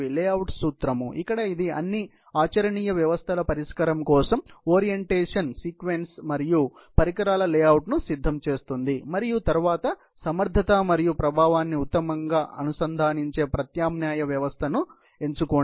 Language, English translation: Telugu, Layout principle, where it prepare an orientation sequence and equipment layout for all viable systems solution and then, select the alternative system that best integrates efficiency and effectiveness